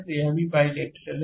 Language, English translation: Hindi, So, it is also bilateral